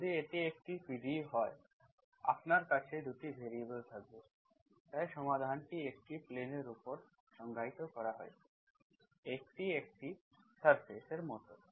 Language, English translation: Bengali, If it is PDE, if it is a PDE, you will have 2 variables, so it is solution is defined over a plane, so that means you can, it is like a surface